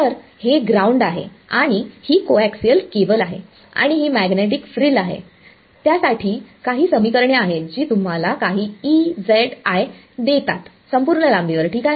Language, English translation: Marathi, So, this is ground and this is coax cable and this magnetic frill there are some equations for it which give you some E i z over the entire length ok